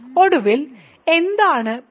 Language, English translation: Malayalam, So, what is P k